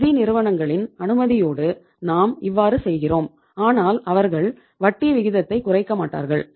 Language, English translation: Tamil, It means that with the permission of the financial institution we are utilizing but you see they wonít reduce the rate of interest